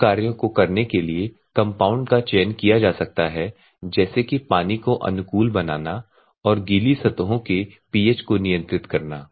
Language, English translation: Hindi, Compounds may be selected to perform some of the functions like condition water and pH of the wet surfaces